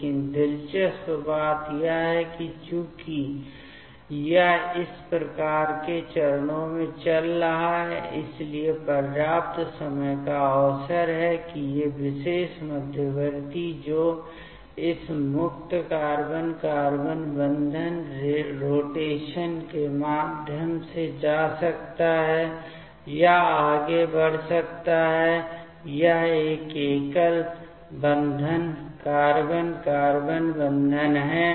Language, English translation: Hindi, But the interesting thing is that as this is going in this type of steps, so there is enough time opportunity that these particular intermediate that can go or proceed through this free carbon carbon bond rotation, this is a single bond carbon carbon bond